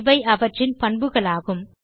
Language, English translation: Tamil, These are also called properties